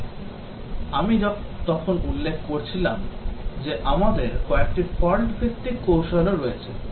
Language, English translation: Bengali, But then as I was mentioning that we have a few fault based techniques as well